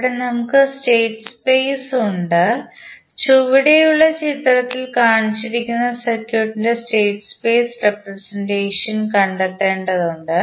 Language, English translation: Malayalam, Here we have state space, we need to find the state space representations of the circuit which is shown in the figure below